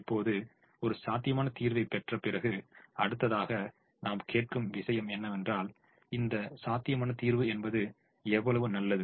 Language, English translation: Tamil, now, having obtained a feasible solution, the next thing that we ask is: how good is this feasible solution